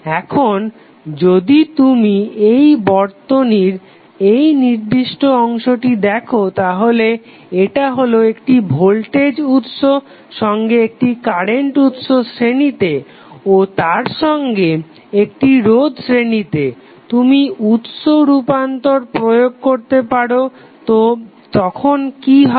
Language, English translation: Bengali, Now, if you see this particular segment of the circuit this segment of circuit is nothing but voltage source in series with 1 current voltage source in series with 1 resistance you can apply source transformation so what will happen